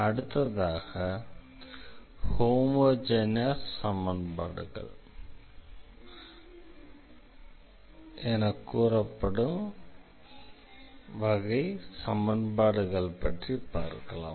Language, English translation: Tamil, So, another type of equations we will consider now these are called the homogeneous equations